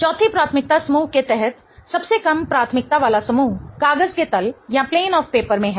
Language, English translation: Hindi, Again the fourth priority group, the least priority group is in the plane of the paper